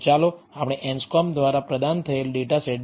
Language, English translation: Gujarati, So, let us look at a data set provided by Anscombe